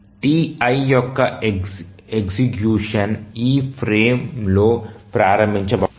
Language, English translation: Telugu, So, the execution of the TI cannot be started in this frame